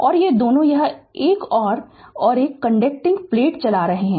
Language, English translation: Hindi, And these two this one and this one these two are conducting plates